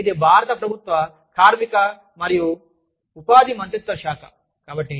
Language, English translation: Telugu, So, this is, The Ministry of Labor and Employment, Government of India